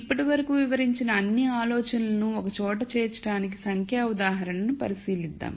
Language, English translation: Telugu, Let us take a look at a numerical example to bring together all the ideas that we have described till now